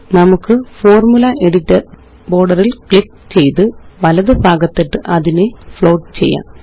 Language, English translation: Malayalam, Let us click on the Formula Editor border and drag and drop to the right to make it float